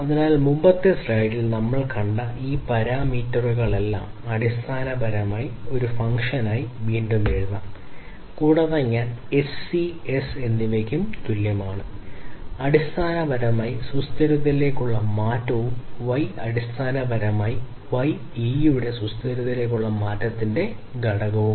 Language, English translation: Malayalam, So, all these parameters that we have seen in the previous slide and so, this basically can be again rewritten as a function of all these is and where I equal to S over E and S is basically the change towards the sustainability and Y is basically the exponent of the change towards sustainability S of E